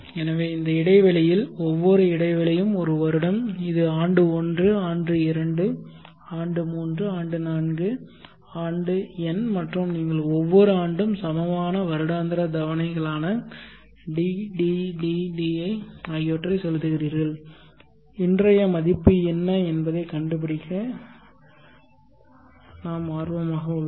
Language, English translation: Tamil, So let us say in this time line where each interval is one year this is year 1, year 2, year 3, year 4, year n and you are paying equal annual installments DDDD at the end of every year, and we are interested to find what is the present worth today